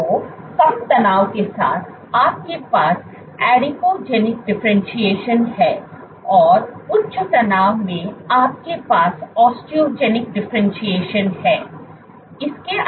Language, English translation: Hindi, So, with higher tension when you have low tension, you have adipogenic differentiation and you have high tension you have osteogenic differentiation